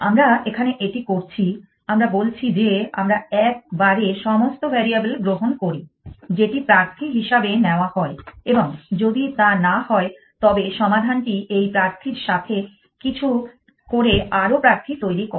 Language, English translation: Bengali, We are doing that here, we are saying that we take all the variables at one shot takes that as a candidates and if it not the solution will do something with this candidate to generate more candidates